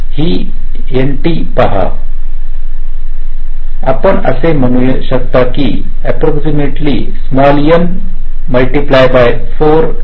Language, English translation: Marathi, you can say this is approximately equal to n into four t